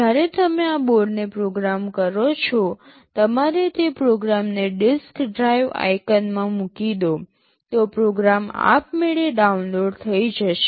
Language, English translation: Gujarati, When you program this board you simply drag and drop that program into the disk drive icon, that program will automatically get downloaded